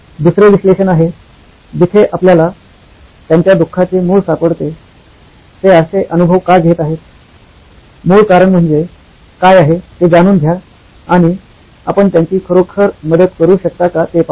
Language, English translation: Marathi, The second is analyse, where you find the root cause of their suffering, why is it that they are going through such an experience, is it something that what is the root cause, find out where is it that you can really help